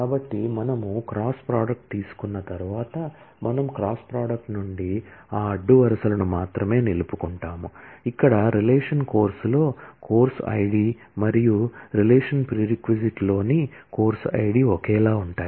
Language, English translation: Telugu, So, once we have taken the cross product, we will from the cross product, only retain those rows, where the course id in relation course and the course id in relation prereq are same